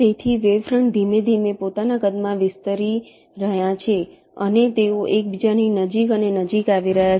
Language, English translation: Gujarati, so the wavefronts are slowly expanding in their sizes and they are coming closer and closer together